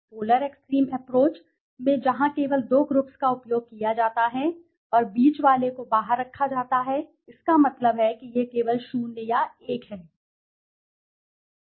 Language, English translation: Hindi, polar extreme approach are something where only two groups are used and the middle one is excluded, that means it is only the 0 or 1